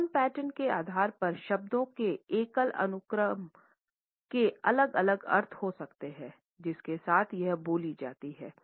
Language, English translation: Hindi, A single sequence of words can have different meanings depending on the tone pattern with which it is spoken